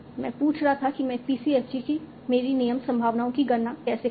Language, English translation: Hindi, Finally, we also wanted to see how do I learn my PCFG rule probabilities